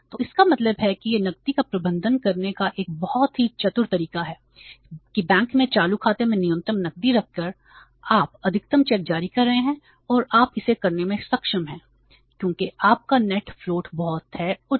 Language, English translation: Hindi, So it means it is a very clever way, very smart way of managing the cash that by keeping minimum cash in the current account in the bank you are issuing the maximum checks and that you are able to do it because your net float is very high